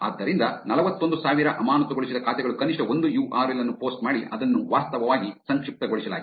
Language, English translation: Kannada, So, 41 thousand suspended accounts posted at least one URL, which was actually shortened